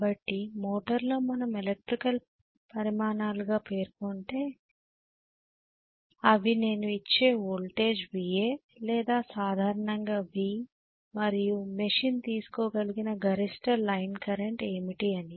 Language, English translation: Telugu, So in the motor what we specify as electrical quantities will be what is the voltage I am applying that is VA or V in general and what is the maximum line current the machine can draw